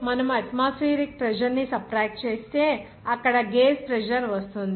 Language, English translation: Telugu, If you subtract that what is that atmospheric pressure you will get the gauge pressure there